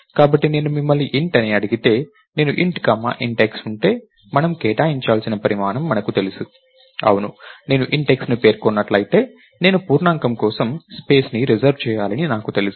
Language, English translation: Telugu, So, if I ask you int, if I have int comma int x right, do we know the size that we have to allocate, yes if I specify int x I know that I have to reserve space for an integer right